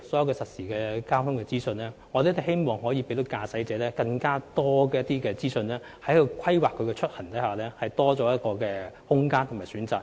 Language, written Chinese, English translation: Cantonese, 在實時交通資訊方面，我們希望可以給予特別是駕駛者更多資訊，以便他在規劃出行時有更大空間和更多選擇。, Speaking of real - time traffic information I wish to say that we hope to provide drivers in particular with more information so that they can have greater room and more options for trip planning